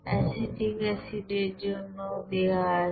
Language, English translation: Bengali, For acetic acid also it is given